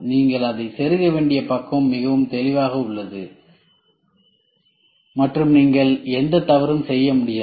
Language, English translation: Tamil, The side which you have to plug it in is very clear and you cannot make any mistakes